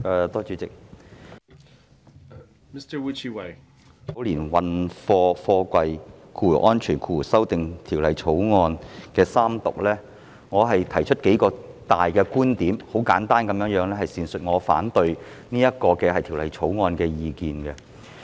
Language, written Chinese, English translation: Cantonese, 主席，我想就三讀《2019年運貨貨櫃條例草案》提出數項觀點，簡單闡述我反對《條例草案》的意見。, President I would like to raise several points regarding the Third Reading of the Freight Containers Safety Amendment Bill 2019 the Bill . I will briefly explain my opposition to the Bill